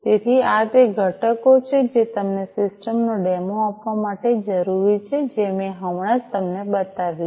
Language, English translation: Gujarati, So, these are the components that are required in order to give you a demo of the system that I have just shown you